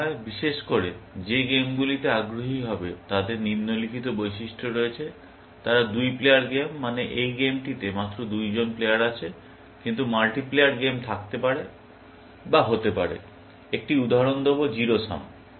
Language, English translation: Bengali, In particular, the games that will be interested in, have this following characteristic; they are two player games, which means that there are only two players in this game, but there can be multi player games, may be, will give an example, Zero Sum